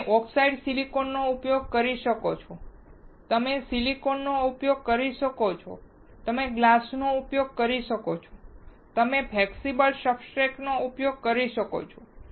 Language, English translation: Gujarati, You can use oxidized silicon, you can use silicon, you can use glass, you can use flexible substrate